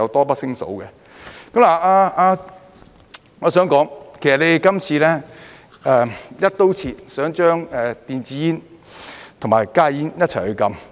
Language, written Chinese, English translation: Cantonese, 我想說，其實你們今次"一刀切"，想將電子煙和加熱煙一起禁止。, I wish to say actually you intend to ban both e - cigarettes and HTPs in an across - the - board manner in this exercise